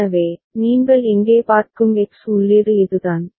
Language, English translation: Tamil, So, this is the X the input that you see here right